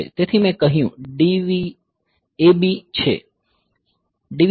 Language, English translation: Gujarati, So, I said DIV AB ok